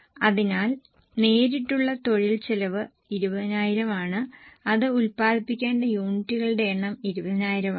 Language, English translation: Malayalam, So, direct labour cost is same which is 20,000 and number of units to be produced are 20,000